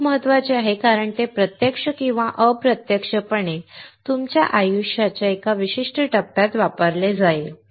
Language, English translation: Marathi, It is very important because it will be used in a certain phase of your life directly or indirectly